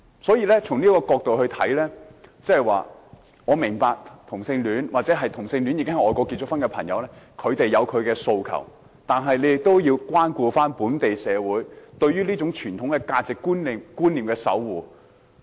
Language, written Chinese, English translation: Cantonese, 所以，從這個角度來看，我明白同性戀者，或已在外國結婚的同性戀者有自己的訴求，但他們也要關顧本地社會對於傳統價值觀念的守護。, Therefore from this perspective I understand that homosexuals or those having married overseas have their aspirations but they also need to take into account the local societys defence of traditional values